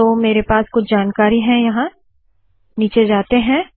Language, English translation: Hindi, So I have some information here, lets go to the bottom